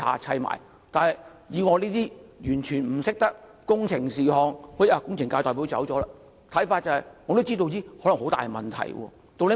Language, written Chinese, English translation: Cantonese, 雖然我完全不懂得工程的事——工程界的代表不在席——我也知道可能會有很大問題。, Although I know nothing about engineering―the representative of the Engineering sector is not present now―I understand that serious problems may arise